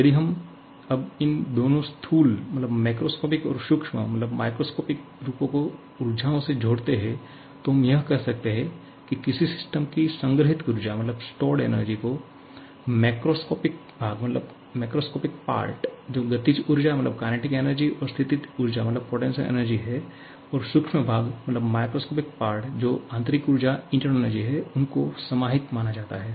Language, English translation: Hindi, So, if we now combine both these macroscopic and microscopic form of energies, we can easily write that the stored energy of a system can be considered to comprise of the macroscopic part which is the kinetic energy and potential energy